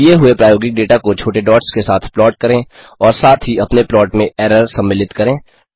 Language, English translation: Hindi, Plot the given experimental data with small dots and also include the error in your plot